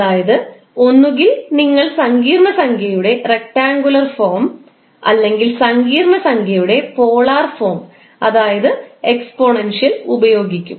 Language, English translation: Malayalam, That is either you will use the rectangular form of the complex number or the polar form that is exponential form of the complex number representation